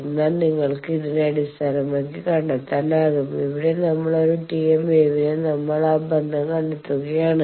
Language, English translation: Malayalam, So, based on that you can find, here we are for a T m wave we are finding that relationship